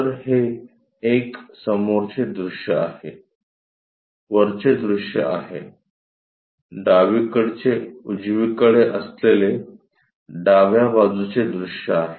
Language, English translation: Marathi, So, this is front view, top view, left to right left side view